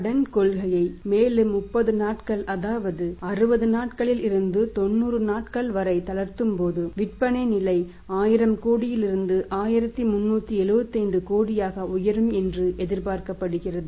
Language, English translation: Tamil, And we have seen that when credit policy is relaxed by 30 more days from 60 days to 90 days the sea level is expected to go up from 1000 crore to 1375 crore